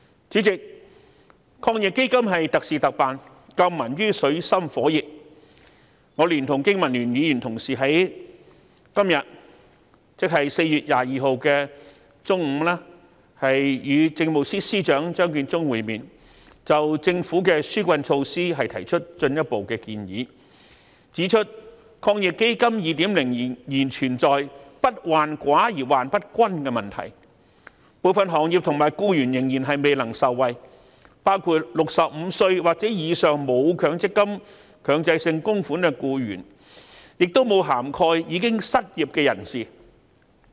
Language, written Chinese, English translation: Cantonese, 主席，抗疫基金是特事特辦，救民於水深火熱，我連同經民聯議員同事剛在今天中午，與政務司司長張建宗會面，就政府的紓困措施提出進一步的建議，指出抗疫基金 2.0 仍存在不患寡而患不均的問題，部分行業和僱員仍然未能受惠，包括65歲或以上沒有強積金供款的僱員，亦沒有涵蓋失業人士。, President AEF is an exceptional measure introduced under unusual circumstances to provide relief to the people in dire straits . At noon today 22 April I and my fellow BPA colleagues met with Chief Secretary for Administration Matthew CHEUNG to make further suggestions on the Governments relief measures . We pointed out that the problem with the second round of AEF is not with scarcity but unequal distribution of the benefits as some sectors and employees including persons aged 65 or above who are not making Mandatory Provident Fund contributions and persons unemployed are still unable to benefit from AEF